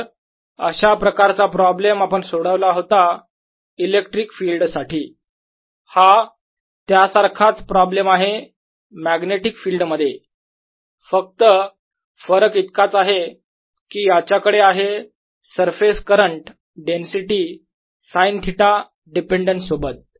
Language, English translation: Marathi, so this is a kind of problem that we solved in electric field and this is similar problem in the magnetic field, except that now it has a surface current density with sine theta dependence